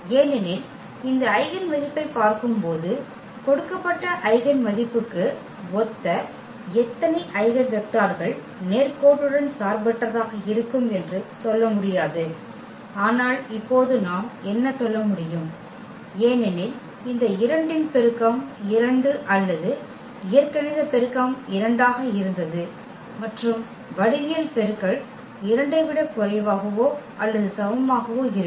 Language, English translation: Tamil, Because, looking at this eigenvalue we cannot just tell how many eigenvectors will be linearly independent corresponding to a given eigenvalue, but what we can tell now because the multiplicity of this 2 was 2 or the algebraic multiplicity was 2 and we know that the geometric multiplicity will be less than or equal to 2